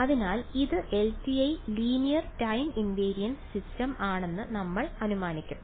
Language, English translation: Malayalam, So, we will just assume that this is LTI ok, Linear Time Invariance system